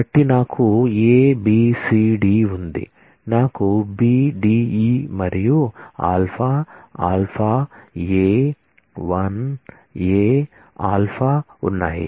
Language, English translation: Telugu, So, I have A B C D I have B D E and alpha alpha A 1 A alpha